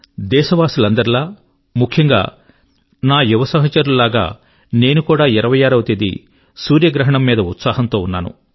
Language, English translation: Telugu, Like my countrymen, especially the youth among them, I too was eager to watch the solar eclipse on the 26th of December